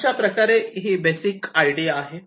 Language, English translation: Marathi, ok, this is the basic idea